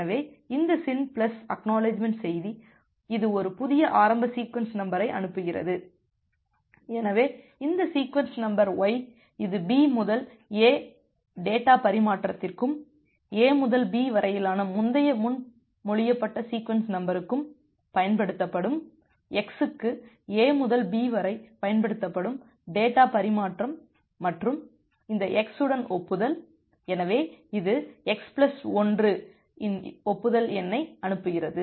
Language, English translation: Tamil, So, this SYN plus ACK message it is sending a new initial sequence number, so this sequence number y it will be used for B to A data transfer and earlier proposed sequence number from A to B that is x will be used for A to B data transfer and in acknowledge with this x, so it sends a acknowledgement number of x plus 1